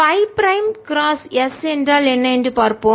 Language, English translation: Tamil, let us see what phi prime cross s is